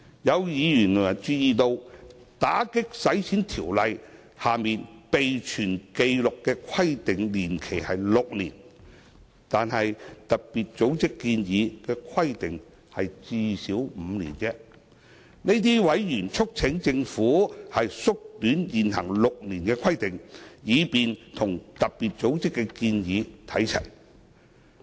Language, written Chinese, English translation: Cantonese, 有委員注意到，《條例》下備存紀錄的規定年期為6年，但特別組織建議的規定只是最少5年而已，這些委員促請政府縮短現行6年的規定，以便與特別組織的建議看齊。, Noting that the record - keeping period under AMLO is six years while the corresponding FATF recommendation is merely at least five years a member has urged the Government to reduce the current six - year requirement in AMLO to align with the FATF recommendation